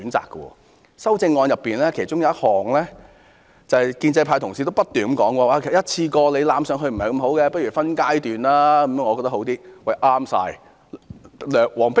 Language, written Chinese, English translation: Cantonese, 在多項修正案中，其中有一項是建制派議員也不斷提及的，便是一次過增加其實不太好，倒不如分階段進行。, Among the various amendments is one that proposes to implement the increase in the number of leave days by phases instead of implementing at one stroke which is repeatedly referred to by pro - establishment Members